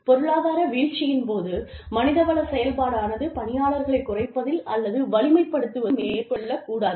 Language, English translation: Tamil, In an economic downturn, the HR function should go untouched, in staff reductions, or possibly, beefed up